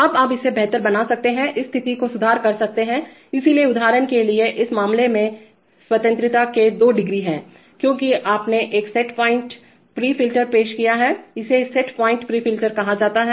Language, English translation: Hindi, Now you could, you could improve the, improve the situation by having this, so for example in this case there are two degrees of freedom why, because you have introduced a set point pre filter this is called a set point pre filter